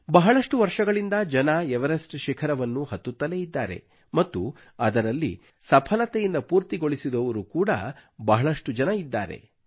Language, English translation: Kannada, People have been ascending the Everest for years & many have managed to reach the peak successfully